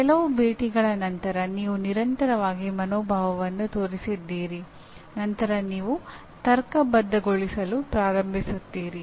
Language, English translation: Kannada, Then after few encounters like that you have consistently shown the attitude then you start rationalizing